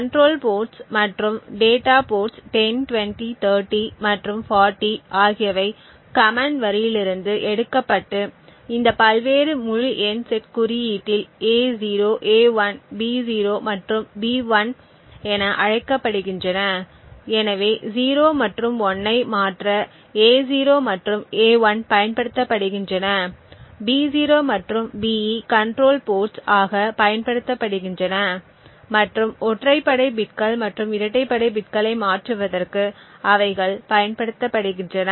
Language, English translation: Tamil, So, the arguments that are provided over here that is the control ports and the data ports that is 10, 20, 30 and 40 are taken from the command line and set into these various integers set index A0, A1, B0 and B1, so A0 and A1 are used to transfer 0 and 1 while B0 and the BE are used for the control ports and where they are used to transfer the odd bits and the even bits respectively